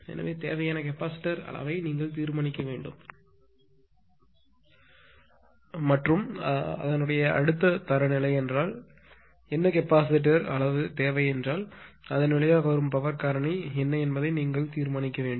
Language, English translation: Tamil, So, you have to determine the capacitor size required and what would be the resulting power factor if the next standard I mean whatever capacitor size is required means